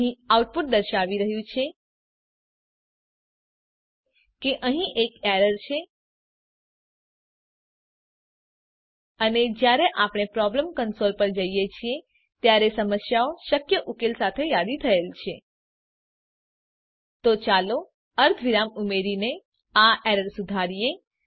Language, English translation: Gujarati, We notice that there is output indicating that there is an error and when we go to problem console all the problem with possible solution are listed So Let us resolve the error by adding a semi colon